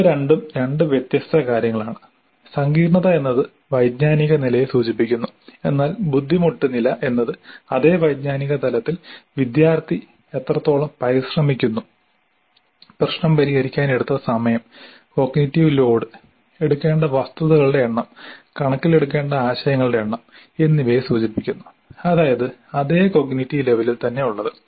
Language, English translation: Malayalam, The complexity refers to the cognitive level but the difficulty level refers to the amount of effort taken by the student, the time taken to solve the problem, the cognitive load, the number of facts to be taken into account, the number of concepts to be taken into account but at the same cognitive level